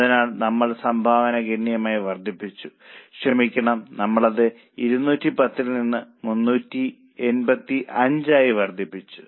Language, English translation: Malayalam, So, we have increased the contribution substantially because of better utilization of, sorry, we have increased it from 210 to 385